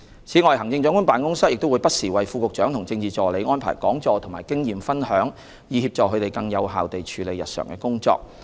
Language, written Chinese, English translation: Cantonese, 此外，行政長官辦公室亦會不時為副局長和政治助理安排講座和經驗分享，以協助他們更有效地處理日常的工作。, In addition the Chief Executives Office also arranges seminars and experience - sharing sessions for Deputy Directors of Bureau and Political Assistants from time to time with a view to facilitating their effective day - to - day work